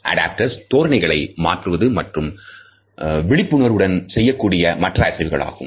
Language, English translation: Tamil, Adaptors include changes in posture and other movements which are made with little awareness